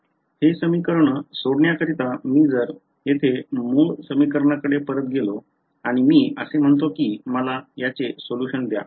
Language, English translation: Marathi, In order for us to solve this equation if I just go back to the original equation over here and I say give me a solution to this right